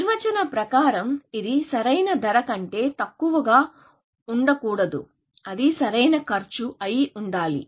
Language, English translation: Telugu, By definition, it cannot be less than optimal cost; it must be the optimal cost